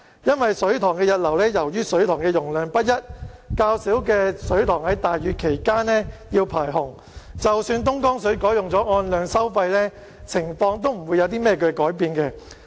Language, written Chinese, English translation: Cantonese, 因為水塘的溢流是由於水塘的容量不一，較小的水塘在大雨期間要排洪，即使東江水改用按量收費，情況亦不會有何改變。, Reservoir overflow occurs due to difference in reservoir capacities . Small reservoirs have to discharge flood water during rainy days . Even if the quantity - based charging approach is adopted for purchasing Dongjiang water the situation remains the same